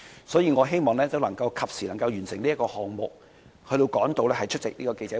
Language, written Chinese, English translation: Cantonese, 所以，我希望可以及時完成這項議案的審議，以趕及出席稍後的記者會。, I hope that the consideration of the motion can be completed in time so that I can attend the press conference later